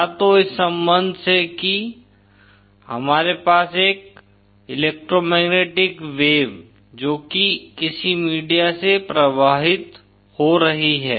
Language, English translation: Hindi, Either from this relationship that is we have an electromagnetic wave passing through some media